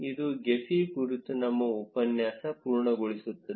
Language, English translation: Kannada, This completes our tutorial on Gephi